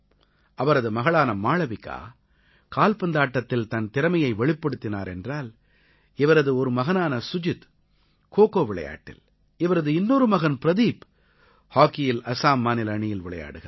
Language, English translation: Tamil, But whereas her daughter Malvika showed her mettle in football, one of her sons Sujit represented Assam in KhoKho, while the other son Pradeep did the same in hockey